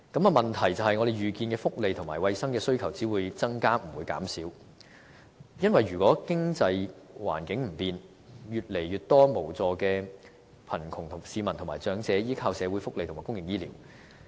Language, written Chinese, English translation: Cantonese, 問題是我們預見福利和衞生的需求只會增加，不會減少，因為如果經濟環境不變，只會有越來越多無助的貧窮市民和長者依靠社會福利和公營醫療。, The problem is that we foresee a certain increase in demand for welfare and health care service so if the economic environment remains the same it will only lead us to a situation in which more and more helpless members from the grass - roots sector and elderly persons will have to rely on social welfare and public health care